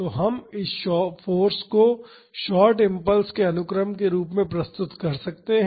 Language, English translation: Hindi, So, we can represent this force as the sequence of short impulses